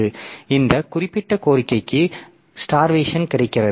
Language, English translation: Tamil, So, that way there is starvation for this particular request